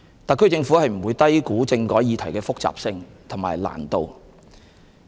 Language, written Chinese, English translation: Cantonese, 特區政府不會低估政改議題的複雜性和難度。, The SAR Government will not underestimate the complexity and difficulty of the constitutional reform issue